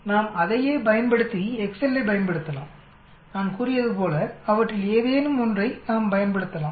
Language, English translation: Tamil, We can use the same thing using the Excel like I said we can use any one of them